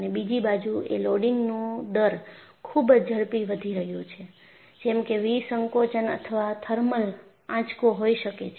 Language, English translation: Gujarati, And another aspect isthe rapid rate of loading such as decompression or thermal shock